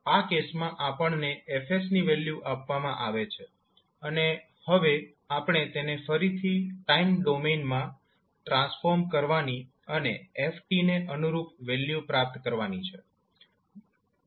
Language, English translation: Gujarati, In this case, we are given the value of F s and now we need to transform it back to the time domain and obtain the corresponding value of f t